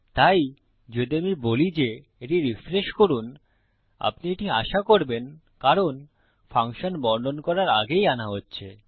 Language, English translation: Bengali, So if I say, refresh this, youll expect this because the function is being called before its been declared